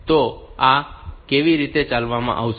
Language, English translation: Gujarati, So, how this will be executed